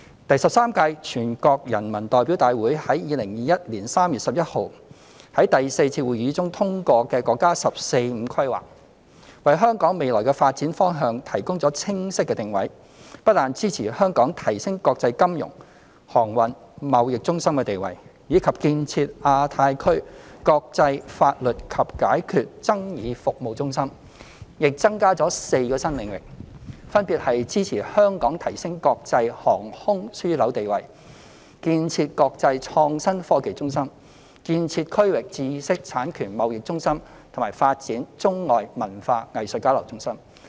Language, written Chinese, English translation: Cantonese, 第十三屆全國人民代表大會於2021年3月11日在第四次會議中通過的國家"十四五"規劃，為香港未來的發展方向提供清晰的定位，不但支持香港提升國際金融、航運、貿易中心地位，以及建設亞太區國際法律及解決爭議服務中心，亦增加了4個新領域，分別是支持香港提升國際航空樞紐地位、建設國際創新科技中心、建設區域知識產權貿易中心及發展中外文化藝術交流中心。, The National 14th Five - Year Plan approved at the fourth session of the 13th National Peoples Congress on 11 March 2021 has established a clear positioning for Hong Kongs future development and apart from the support for Hong Kong in enhancing its status as international financial transportation and trade centres as well as establishing itself as a centre for international legal and dispute resolution services in the Asia - Pacific region it has raised for the first time its support for Hong Kong in four emerging sectors namely supporting Hong Kong to enhance its status as an international aviation hub and develop into an international innovation and technology hub a regional intellectual property trading centre and a hub for arts and cultural exchanges between China and the rest of the world